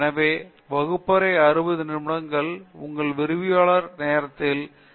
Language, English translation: Tamil, Therefore, the classroom means in your lecturer hour of 60 minutes, there should be 60 questions across